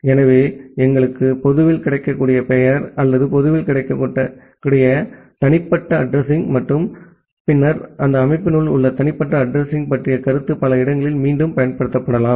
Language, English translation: Tamil, So, we require a notion of publicly available name or publicly available unique address and then the private address inside that organization which can reused in multiple places